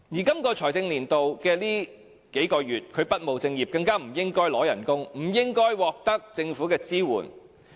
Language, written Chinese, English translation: Cantonese, 本財政年度的最近數個月，他不務正業，不應該支取薪酬，更不應該獲得政府的支援。, In the last few months of this financial year he has not been engaged in his own proper business and so should not receive emoluments and support from the Government